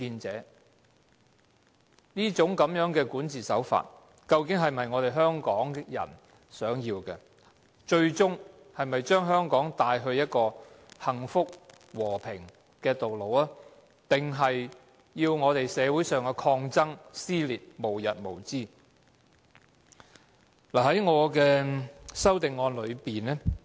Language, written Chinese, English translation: Cantonese, 這一種管治手法是否我們香港人想要，最終會將香港領往一條走向幸福、和平的道路，還是令社會的抗爭、撕裂無日無之呢？, Are we the citizens of Hong Kong looking for this kind of approach in governance? . Will such an approach eventually lead Hong Kong onto a path to blessings and peace or to endless protests and dissension in society?